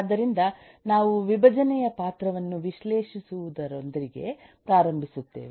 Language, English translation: Kannada, so we start with eh analyzing the role of decomposition